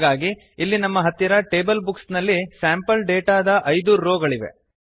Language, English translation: Kannada, So, here we have 5 rows of sample data in our table Books